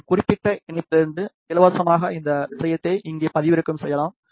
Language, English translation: Tamil, You can download this thing free from this particular link over here